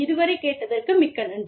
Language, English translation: Tamil, So, thank you very much, for listening